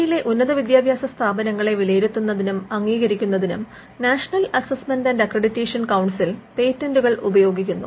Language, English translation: Malayalam, The National Assessment and Accreditation Council also uses patents when it comes to assessing and accrediting higher education institutions in India